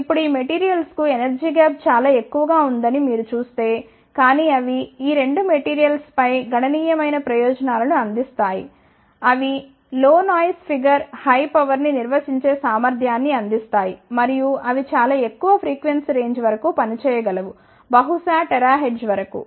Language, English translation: Telugu, Now, if you see the energy gap for these materials are relatively high, but they offers the significant advantages over these 2 materials like they provide low noise figure, high power handling capability and they can operate up to very high frequency range maybe up to terahertz